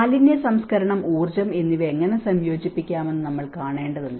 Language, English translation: Malayalam, So, we need to see how we can incorporate the waste management, energy